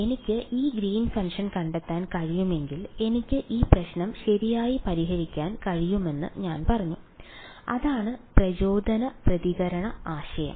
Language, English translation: Malayalam, So, I said if I can find out this Green function I can solve this problem right and that was the impulse response idea